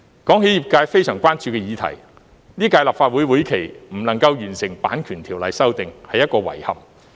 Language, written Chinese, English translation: Cantonese, 談起業界非常關注的議題，在本屆立法會會期未能完成《版權條例》修訂是一個遺憾。, Speaking of a subject of great concern to the industry it is regrettable to see our failure to amend the Copyright Ordinance before this Legislative Council term ends